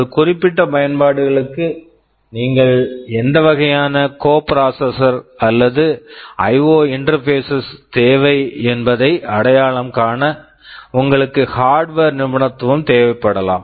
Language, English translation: Tamil, You may need expertise in hardware to identify what kind of coprocessors or IO interfaces you will be requiring for a certain applications, because you may have several choices